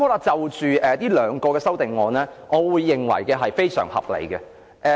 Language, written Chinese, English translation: Cantonese, 就這兩項修正案，我認為非常合理。, I think these two amendments are very reasonable . Let me first talk about the FBL